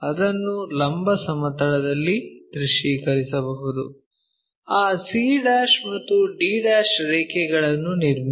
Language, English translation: Kannada, So, we can visualize that in the vertical plane, draw that c' and d' lines